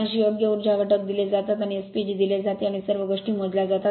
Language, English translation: Marathi, 86 right power factors is given, and S P G is given and all these things are computed